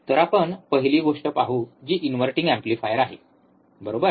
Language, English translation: Marathi, So, let us see first thing which is the inverting amplifier, right